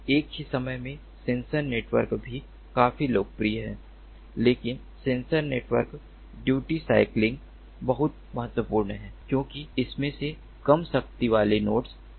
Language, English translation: Hindi, at the same time, sensor networks are also quite popular, but sensor networks duty cycling is very important because of these low powered nodes